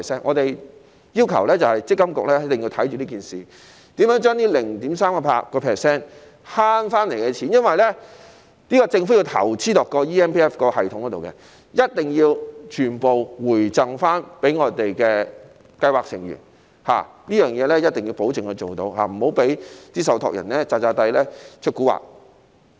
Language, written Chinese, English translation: Cantonese, 我們要求積金局一定要監察這方面，如何將這 0.38% 節省回來的錢——因為政府要就建立 eMPF 系統作出投資——一定要全部回贈予計劃成員，一定要保證能做到此事，不要讓受託人"詐詐諦出蠱惑"。, We request that MPFA keep a watch on it and ensure that the money saved by way of the 0.38 % reduction―as the Government has to make investments for the establishment of the eMPF Platform―will be fully returned to scheme members . We must ensure that this can be done and that the trustees will not be allowed to play tricks covertly